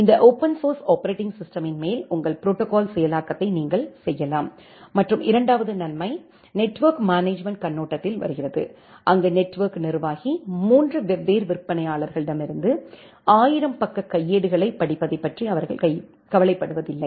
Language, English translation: Tamil, And then you can do your protocol implementation on top of this open source operating system and the second advantage comes from the network management perspective, where the network administrator, they do not bother about reading the 1000 page manuals for from 3 different vendors